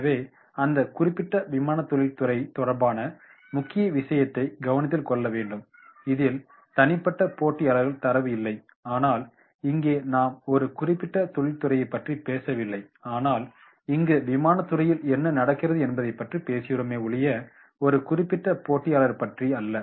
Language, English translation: Tamil, So that can be we can also make the points related to that particular aviation industry, this does not include individual competitor data but here we are not talking about that is the about a particular industry, here we are talking about that what is happening with this aviation industry as such and not a particular competitor